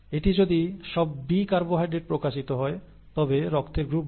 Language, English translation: Bengali, If it is all B carbohydrates being expressed, it is blood group B